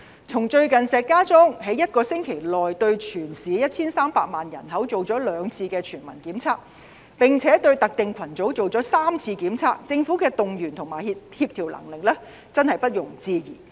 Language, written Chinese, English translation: Cantonese, 從最近石家莊一星期內對全市 1,300 萬人口進行過兩次全民檢測，並且對特定群組進行過3次檢測，政府動員和協調能力真的不容置疑。, One should not cast doubt on its mobilizing and coordinating capabilities in view of the recent universal testing programme which was conducted twice for the 13 million residents in Shijiazhuang within one week with a testing programme being conducted three times for a specified group of people